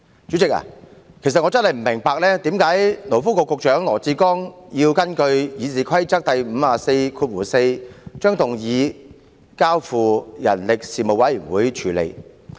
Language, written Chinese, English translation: Cantonese, 主席，我實在不明白，為何勞工及福利局局長羅致光要根據《議事規則》第544條，建議將議案交付人力事務委員會處理。, President I really do not understand why the Secretary for Labour and Welfare Dr LAW Chi - kwong has proposed under RoP 544 that the Bill be referred to the Panel on Manpower for scrutiny